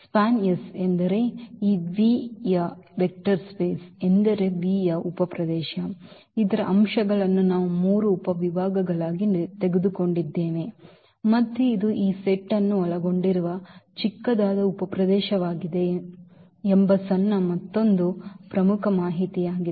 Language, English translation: Kannada, So, this is span S is the subspace meaning this a vector space of this V the subspace of V whose elements we have taken as three subsets and this is the smallest another important information that this is the smallest subspace which contains this set S